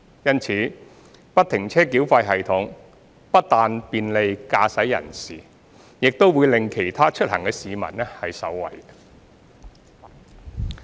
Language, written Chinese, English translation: Cantonese, 因此，不停車繳費系統不但便利駕駛人士，亦令其他出行的市民受惠。, Therefore FFTS not only will bring convenience to motorists but will also benefit the commuting public